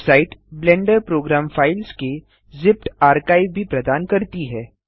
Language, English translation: Hindi, The website also provides a zipped archive of the Blender program files